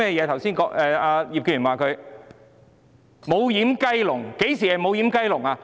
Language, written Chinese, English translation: Cantonese, 她說"無掩雞籠"，甚麼是"無掩雞籠"？, She has referred to a doorless chicken coop . What is a doorless chicken coop?